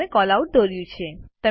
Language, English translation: Gujarati, You have drawn a Callout